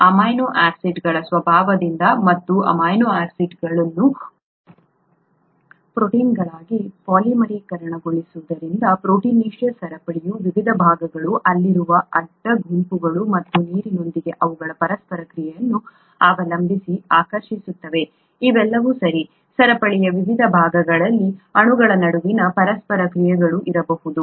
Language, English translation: Kannada, By the very nature of amino acids and the polymerisation of amino acids into proteins, different parts of the proteinaceous chain would attract depending on the side groups that are there and their interactions with water, all these combined, there could be interactions between molecules that are on different parts of the chain